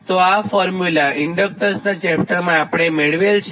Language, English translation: Gujarati, so this formula already derived for inductance chapter